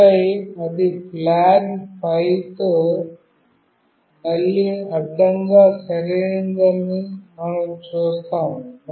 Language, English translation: Telugu, And then we see that it is again horizontally right with flag 5